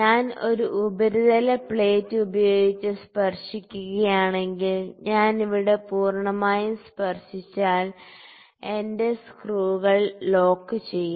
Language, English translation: Malayalam, So, if I touch it with a surface plate, if I touch it here completely then lock my screws